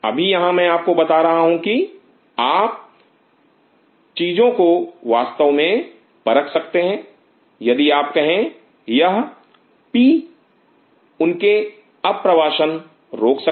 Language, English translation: Hindi, Now here I am telling you that you can actually test such things if you say this P will actually prevent their migration